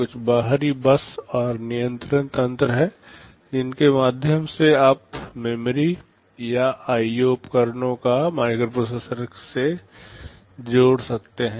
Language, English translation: Hindi, There are some external bus and control mechanism through which you can connect memory or IO devices with the microprocessor